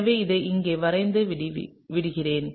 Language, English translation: Tamil, So, let me draw that out over here, right